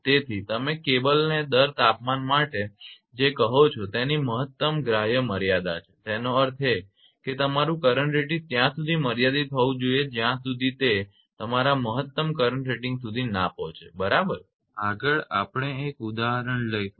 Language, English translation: Gujarati, So, there is maximum permissible limit for the what you call for the cable rate temperature; that means, your current rating has to be restricted till it achieves your maximum current rating not more than that right